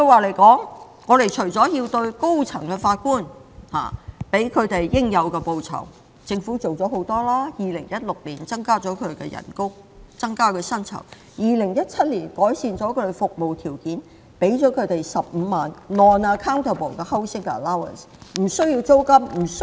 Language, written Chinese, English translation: Cantonese, 為了給予高院法官應有的報酬，政府已做了很多，例如在2016年增加他們的薪酬 ，2017 年改善他們的服務條件，給予他們15萬元的無需單據證明的房屋津貼。, In order to provide High Court Judges with the remuneration they deserve the Government has done a lot for example a pay rise in 2016 and an improvement to their conditions of service in 2017 by providing a non - accountable housing allowance of 150,000